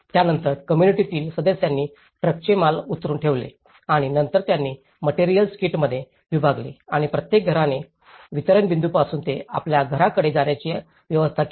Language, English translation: Marathi, Then, the community members offload the truck and then they divided the materials into kits and each household then arranged the transportation from the distribution point to their home